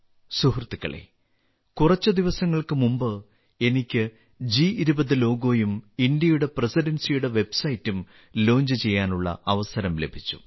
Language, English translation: Malayalam, Friends, a few days ago I had the privilege of launching the G20 logo and the website of the Presidency of India